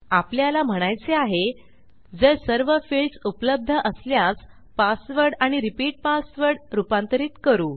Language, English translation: Marathi, What we should say is if everything exists then we can convert our password and repeat password